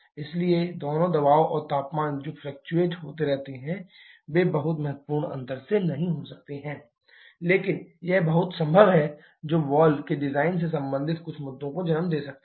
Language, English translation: Hindi, So, both pressure and temperature that keeps fluctuating may not be by a very significant margin, but that is very much possible which can lead to certain issues related to the design of the valves